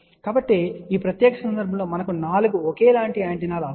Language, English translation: Telugu, So, in that particular case we actually need 4 identical antennas